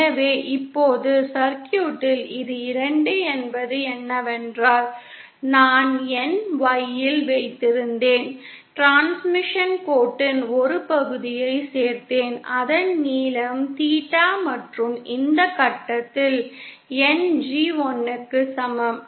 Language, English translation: Tamil, So now on the circuit what this corresponds is 2 is I had my YL, I added a piece of transmission line whose length is theta and at this point I have my G in equal to 1